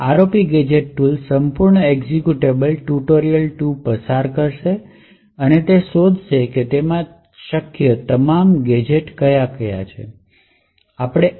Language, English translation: Gujarati, The ROP gadget tool would do was that it would pass through the entire executable, tutorial 2 and identify all possible gadgets that it can find